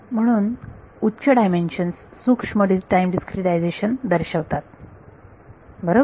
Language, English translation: Marathi, So, higher dimensions imply finer time discretization right